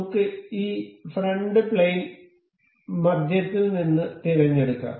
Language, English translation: Malayalam, Let us select this front plane from the middle